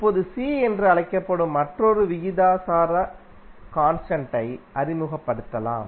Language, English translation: Tamil, Now, you can introduce another proportionality constant that is called C ok